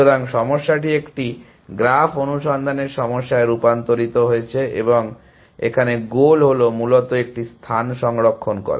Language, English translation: Bengali, So, the problem is have been transformed into a graph search problem and the goal is to save one space essentially